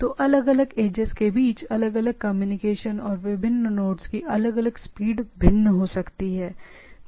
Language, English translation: Hindi, So, different communication between the different edge and different speed of different node may be different